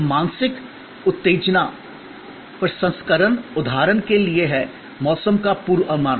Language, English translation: Hindi, So, mental stimulus processing is for example, weather forecast